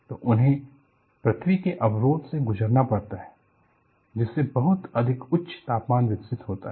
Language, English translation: Hindi, So, they have to pass through the barrier to earth and very high temperatures are developed